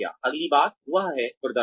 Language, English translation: Hindi, The next thing, that comes is performance